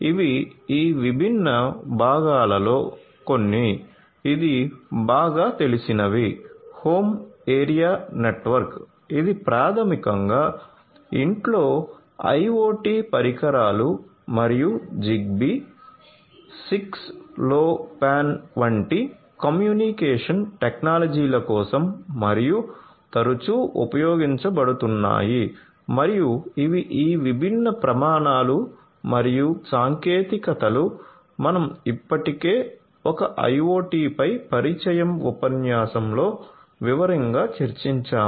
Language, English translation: Telugu, So, these are some of these different parts this is the well known ones are home area network, which is basically IoT devices in the home and for these communication technologies like Zigbee, 6LoWPAN and are often used and these are these different standards and technologies that we have already discussed in detail in an introductory lecture on IoT